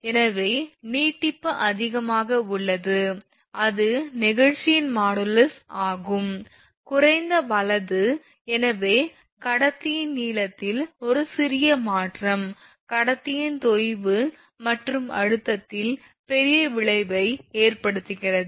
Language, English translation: Tamil, So, elongation is high e is high, that is elongation if modulus of elasticity is low right, thus a small change in the length of conductor causes large effect on sag and tension of conductor